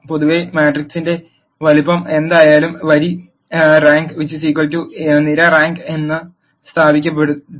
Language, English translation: Malayalam, In general whatever be the size of the matrix, it has been established that row rank is equal to column rank